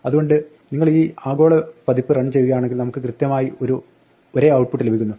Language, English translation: Malayalam, So, if you run this now this global version, we get exactly the same output